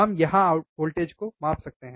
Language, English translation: Hindi, wWe have we can measure the voltage here